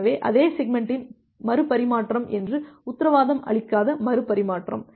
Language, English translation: Tamil, So, retransmission that do not guarantee that the retransmission of the same segment